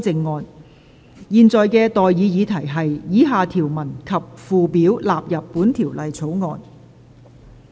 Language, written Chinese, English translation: Cantonese, 我現在向各位提出的待議議題是：以下條文及附表納入本條例草案。, I now propose the question to you and that is That the following clauses and schedules stand part of the Bill